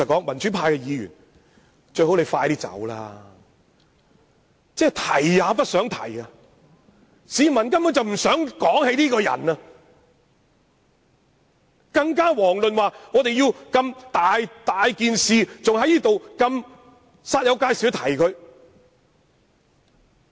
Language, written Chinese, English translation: Cantonese, 民主派議員只希望梁振英快些離職，市民根本提也不想提他，更遑論要我們如此煞有介事地提及他。, Pro - democracy Members only hope that LEUNG Chun - ying will depart from office as soon as possible . Members of the public simply hate to speak of him let alone talk about him in such a serious manner